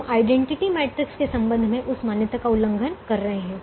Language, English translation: Hindi, we are violating that assumption in the interests of the identity matrix